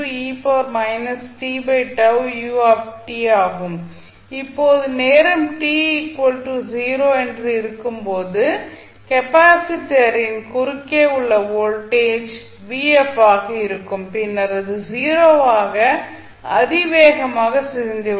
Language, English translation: Tamil, So, now what will happen that at time t is equal to 0 the voltage across conductor would be vf and then it would exponentially decay to 0